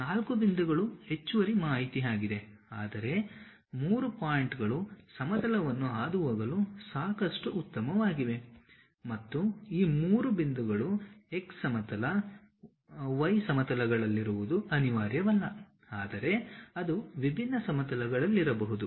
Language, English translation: Kannada, Four points is additional information, but three points is good enough to pass a plane and the normal to the surface is not necessary that all these three points will be on x plane or y plane, but it can be on different planes